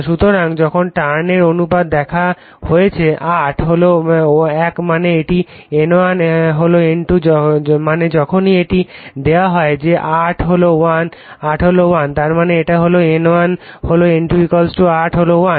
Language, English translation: Bengali, So, now turns ratio is given 8 is to 1 means it is N1 is to N2 I mean whenever it is given that 8 is to 1; that means, it is N1 is to N2 = 8 is to 1